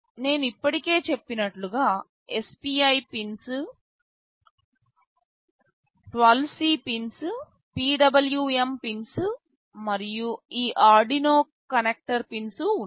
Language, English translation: Telugu, Then there are SPI pins, I2C pins, PWM pins, and this Arduino connector pins I have already mentioned